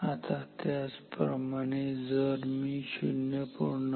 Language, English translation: Marathi, Now, similarly if I apply say 0